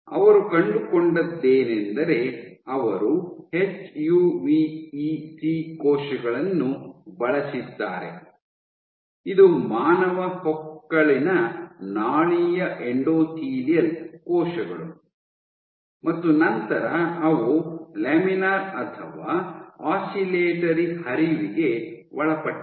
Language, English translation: Kannada, What they found was they used HUVEC cells, this is human umbilical vascular endothelial cells and then they subjected to Laminar or Oscillatory flow